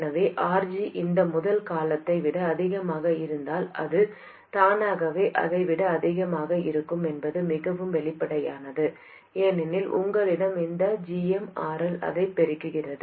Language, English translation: Tamil, So it is very obvious that if RG is much more than this first term, it will be automatically more than that one and that one, because you have this GMRL multiplying that